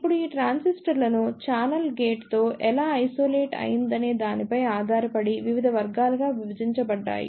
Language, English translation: Telugu, Now, these transistors are further subdivided into various categories depending upon how the channel is isolated with the gate